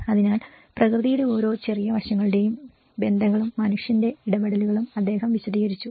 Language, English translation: Malayalam, So, like that he did explain the connections of each and every small aspect of nature and the human interventions